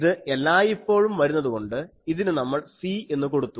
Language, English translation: Malayalam, This was always coming so, we are putting it as a constant C